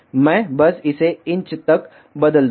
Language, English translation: Hindi, I will just change here it 2 inch